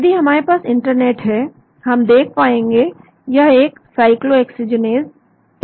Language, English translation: Hindi, If we have internet here, we will be able to see, this is a cyclooxygenase 2